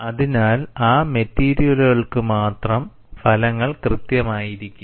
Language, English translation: Malayalam, So, only for those materials the results will be exact